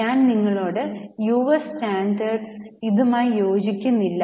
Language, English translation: Malayalam, Now, as I told you, the American standards or US standards are not in harmony